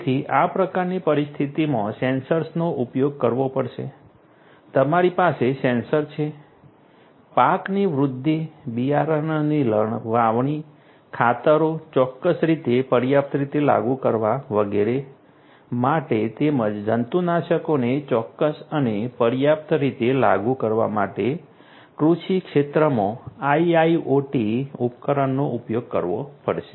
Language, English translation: Gujarati, So, in this kind of scenario sensors will have to be used you have sensors IIoT devices will have to be used in the agricultural field for monitoring the growth of the crops, for monitoring the sowing of the seeds, for applying fertilizers you know precisely adequately and so on and also to precisely and adequately apply the pesticides